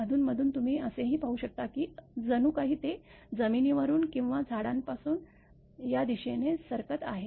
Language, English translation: Marathi, Occasionally, you can observe also it is moving as if from the ground or from the trees to this one